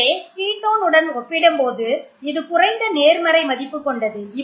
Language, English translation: Tamil, So, it is less positive as compared to the ketone